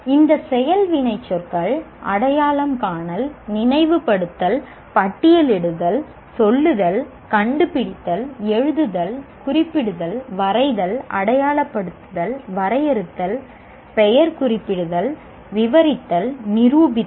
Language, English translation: Tamil, Like this action verb, recognize, recall, or list, tell, locate, write, find, mention, state, draw, label, define, name, describe, even prove a theorem